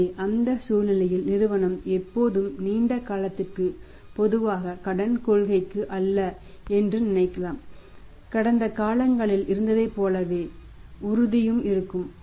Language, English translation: Tamil, So, that in that situation the firm may think of that not for always not for the long term normally the credit policy of the for firm will remain as it is at it has been in the past